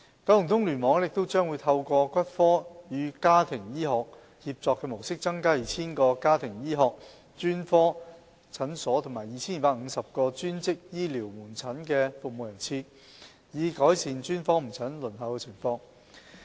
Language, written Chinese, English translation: Cantonese, 九龍東聯網亦將會透過骨科與家庭醫學協作模式，增加 2,000 個家庭醫學專科診所和 2,250 個專職醫療門診的服務人次，以改善專科門診的輪候情況。, KEC will also provide an additional 2 000 Family Medicine Specialist Clinic attendances and 2 250 allied health outpatient attendances under a collaborative Orthopaedics Traumatology and Family Medicine service model with a view to improving the waiting situation of specialist outpatient services